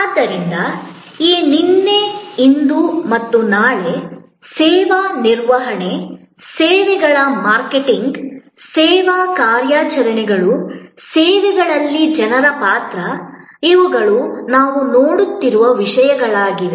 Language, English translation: Kannada, So, this yesterday, today and tomorrow of service management, services marketing, service operations, the role of people in services, these will be topics that we will be looking at